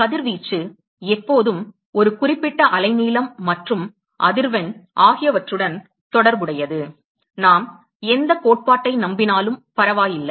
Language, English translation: Tamil, Radiation is always associated with a certain wavelength and frequency ok, never matter whichever theory we believe